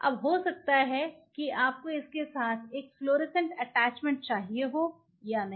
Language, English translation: Hindi, Now whether you wanted to have a fluorescent attachment with it not